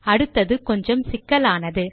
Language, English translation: Tamil, Now the next ones a bit more tricky